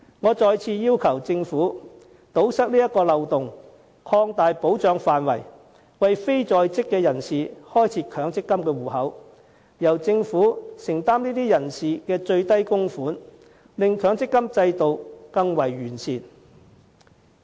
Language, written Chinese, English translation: Cantonese, 我再次要求政府堵塞這個漏洞，擴大保障範圍，為非在職人士開設強積金帳戶，並由政府承擔這些人士的最低供款，令強積金制度更為完善。, I once again ask the Government to plug this loophole by extending the scope of protection to set up MPF accounts for non - working people and make the minimum contributions for them thus further refining the MPF System